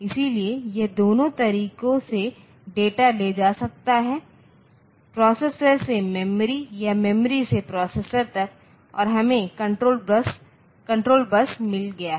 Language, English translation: Hindi, So, it can carry data in both the ways where from processor to memory or memory to processor and we have got the control bus